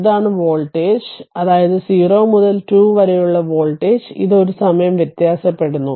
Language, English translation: Malayalam, So, this is the voltage that means, voltage from 0 to 2, it is a time varying